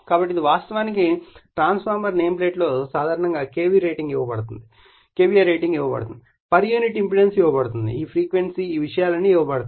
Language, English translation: Telugu, So, this is actually transformer rating generally on the transformer nameplate you will find it is K V a rating will be given right, this frequency will be given for unit impedance will be given all this things will be given